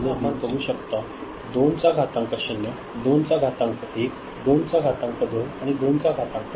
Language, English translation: Marathi, So, we see the 2 to the power 0 comes over here, 2 to the power 1, 2 to the power 2 and 2 to the power 3 right